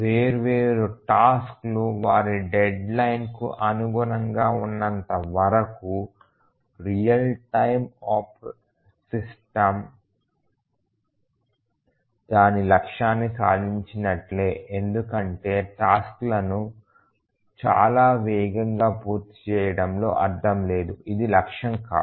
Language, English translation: Telugu, As long as the different tasks meet their deadlines the real time system would have achieved its goal, there is no point in completing the tasks very fast that is not the objective